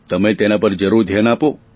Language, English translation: Gujarati, You must pay attention to that